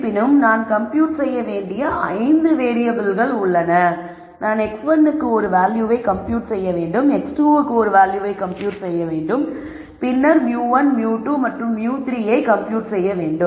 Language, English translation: Tamil, However, I have 5 variables that I need to compute, I need to compute a value for x 1, I need to compute a value for x 2 and then I need to compute mu 1, mu 2 and mu 3